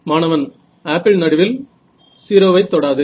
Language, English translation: Tamil, Apple does not go to 0 at the centre